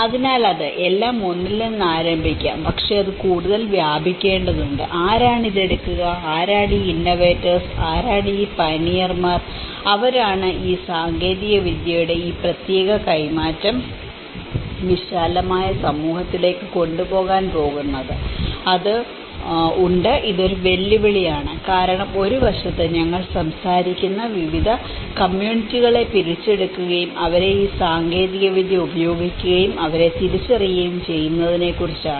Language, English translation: Malayalam, So, it is; it might start everything will start with one and but it has to diffuse further and how, who will take this, who are these innovators, who are these pioneers, who is going to take this particular transfer of technology to a wider community so, it has; this is one of the challenge because on one side, we are talking about capturing different groups of communities and making them use of this technology and realize them